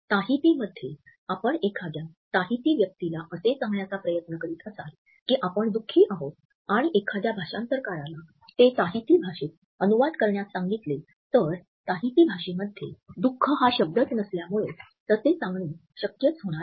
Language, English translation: Marathi, In Tahiti, if you are trying to tell a Tahitian that you are sad and ask a translator to translate that into Tahitian, they will not be able to do so, as there is no word for sadness in the Tahitian language